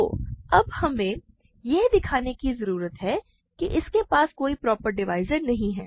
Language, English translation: Hindi, So, now we need to show that it has no proper divisors